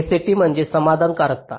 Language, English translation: Marathi, sat stands for satisfiability